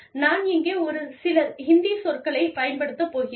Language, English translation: Tamil, And, I am going to use, a few Hindi words, here